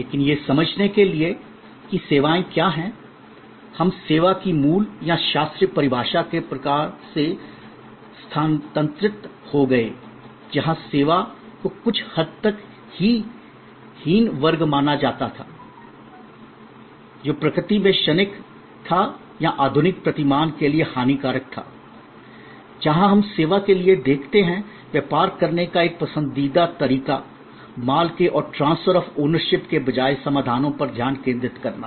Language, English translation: Hindi, But, to understand that what are services, we shifted from the kind of original or classical definition of service, where service was considered somewhat often inferior class of goods which was transient in nature or perishable to the modern paradigm, where we look at service as a preferred way of doing business, focusing on solutions rather than transfer of ownership of goods